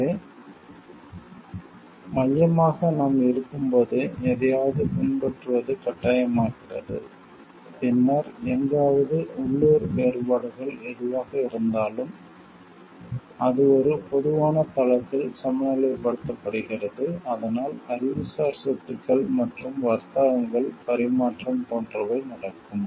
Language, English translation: Tamil, So, centrally when you are it becomes mandatory to follow something, then whatever local differences are there somewhere, it comes to be like balanced in a common platform; so that exchange of intellectual properties and trades can happen